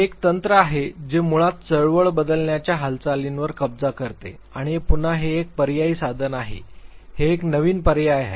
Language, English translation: Marathi, This is a technique which basically captures movement to movement variability and this is again an alternative tool, this is a new alternative